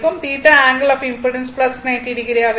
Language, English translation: Tamil, That is angle of impedance will be minus 90 degree